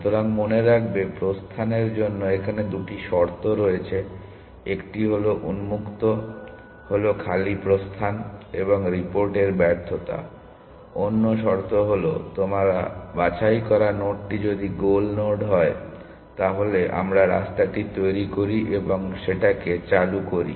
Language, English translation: Bengali, So, remember there are two conditions for exit; one is when open is empty exit and report failure, other condition is if the node that you have picked is the goal node, then we construct the path turn it on the path